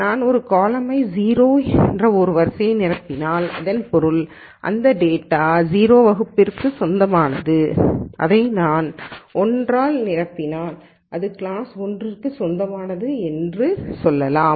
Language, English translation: Tamil, If I fill a column with row with 0 then that means, this data belongs to class 0 and if I fill it 1 then let us say this belongs to class 1 and so on